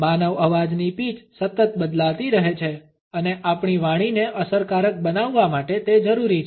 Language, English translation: Gujarati, The pitch of human voice is continuously variable and it is necessary to make our speech effective